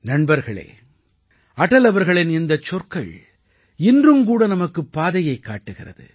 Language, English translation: Tamil, these words of Atal ji show us the way even today